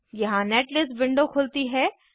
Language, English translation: Hindi, Here the netlist window opens